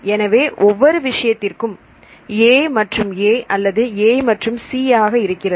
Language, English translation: Tamil, So, for each cases A and A or A and C